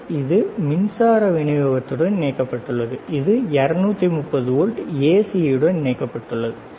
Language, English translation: Tamil, This is connected to the power supply, this is connected to the 230 volts AC, all right